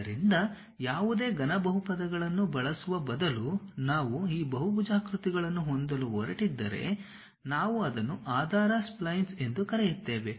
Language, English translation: Kannada, So, instead of using any cubic polynomials, if we are going to have these polygons, we call that as basis splines